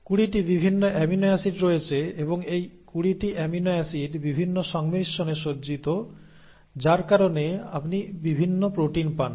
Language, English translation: Bengali, There are 20 different amino acids and these 20 amino acids arranged in different permutations and combinations because of which you get different proteins